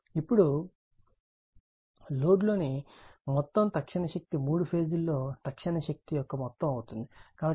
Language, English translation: Telugu, Now, the total instantaneous power in the load is the sum of the instantaneous power in the three phases right, so all the three phases right